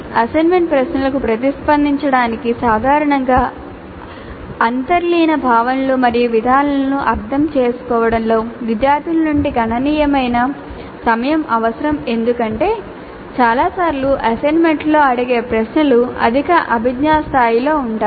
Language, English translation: Telugu, Basically take home kind of assignments and the responding to the assignment questions usually requires considerable time from the students in understanding the underline concepts and procedures because most of the time the questions posed in the assignments are at higher cognitive levels